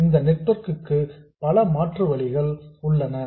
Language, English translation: Tamil, So, there are many possible alternatives